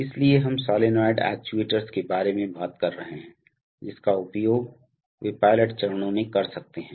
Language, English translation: Hindi, So we are talking about solenoid actuators, that they can be used in pilot stages